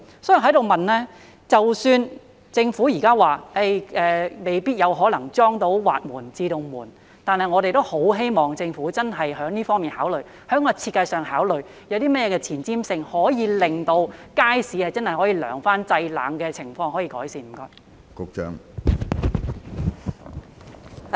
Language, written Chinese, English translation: Cantonese, 即使政府現在表示未必有可能安裝到滑門或自動門，但我們也很希望政府認真考慮——就設計上作考慮——有些甚麼前瞻性的措施，可以令街市可以真正有涼風，製冷的情況可以改善？, Even though the Government has indicated that it may not be possible to install sliding doors or automatic doors we still very much hope that the Government will seriously consider what forward - looking measures in terms of design can be taken so that the Market can really have cool air and the provision of air - conditioning can be improved